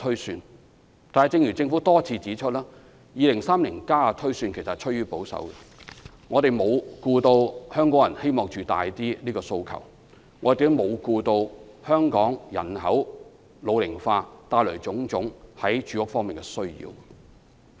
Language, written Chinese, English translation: Cantonese, 然而，正如政府多次指出，《香港 2030+》的推算其實趨於保守，沒有顧及香港人希望增加居住面積的訴求，也沒有顧及香港人口老齡化帶來的種種住屋需求。, Yet as the Government pointed out repeatedly the projection in Hong Kong 2030 is actually quite conservative because it has not taken into account Hong Kong residents aspiration for a more spacious home or the various housing demands arising from an ageing population